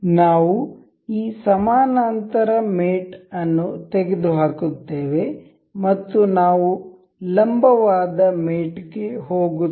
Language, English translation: Kannada, We will remove this parallel mate and we will move on to perpendicular mate